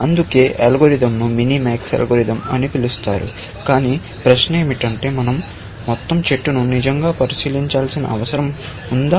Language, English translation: Telugu, That is why, the algorithm is called minimax algorithm, but the question is that do we have to really inspect the entire tree, essentially